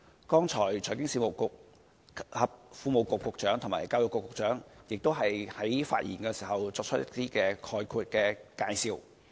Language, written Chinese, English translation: Cantonese, 剛才財經事務及庫務局局長和教育局局長在發言時，作出了一些概括的介紹。, The Secretary for Financial Services and the Treasury as well as the Secretary for Education made some general introduction when speaking just now